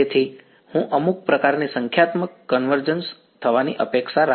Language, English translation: Gujarati, So, I would expect some kind of numerical convergence to happen